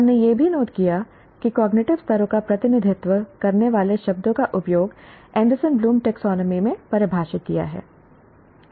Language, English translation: Hindi, We also noted the words representing the cognitive levels are to be used as defined in Anderson Bloombe taxonomy